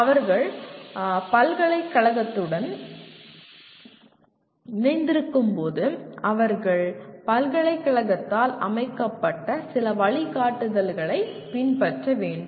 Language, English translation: Tamil, When they are affiliated to university, they still have to follow some guidelines set up by the university